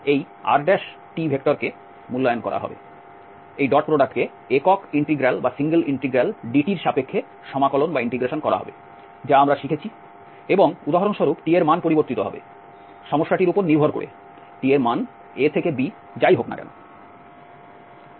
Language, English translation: Bengali, And this R prime t will be evaluated, the dot product will be integrated over dt the single integral which we have learned and the t will vary for instance, whatever t goes from A to B depending on the problem